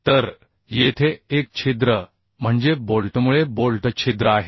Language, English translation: Marathi, So here one is: the hole means bolt hole, hole due to bolt